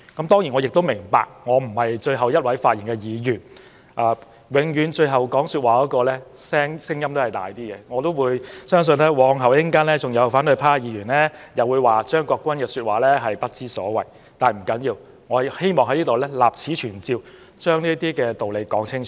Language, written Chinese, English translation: Cantonese, 當然，我明白自己並非最後一位發言的議員，而最後發言的那一位的聲音永遠較大，相信稍後也會有反對派議員批評我的說話不知所謂，但不要緊，我希望立此存照，把道理說清楚。, I certainly know that I am not the last Member to speak and the last one to speak is always in the most favourable position . I am sure other Members of the opposition camp will also try to refute my viewpoints later but it does not matter because I just wish to put my views on record and present a clear reasoning of my arguments here